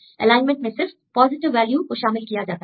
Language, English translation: Hindi, So, they included in the alignment only the positive values